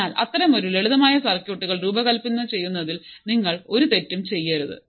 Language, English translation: Malayalam, So, you should not commit any mistake in designing such a simple circuits